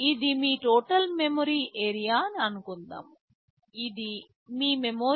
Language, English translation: Telugu, Like let us say this is your total memory area, this is your memory